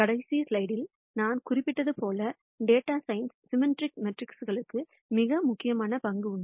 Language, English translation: Tamil, And as I mentioned in the last slide, Symmetric matrices have a very important role in data sciences